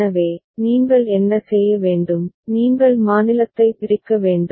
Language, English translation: Tamil, So, what you need to do, you need to split the state